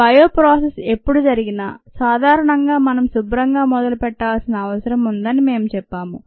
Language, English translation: Telugu, we said that whenever a bio processes involved, we typically need a clean slate